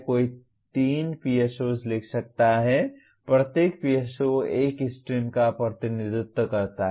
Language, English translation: Hindi, One can write 3 PSOs, each PSO representing one of the streams